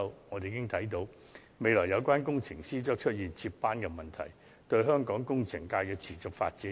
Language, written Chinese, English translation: Cantonese, 由此可見，這些工程師將在未來出現接班問題，即會損害香港工程界的持續發展。, Judging from this we can foresee the succession problem of engineers in future and the sustainability of the local engineering sector will be undermined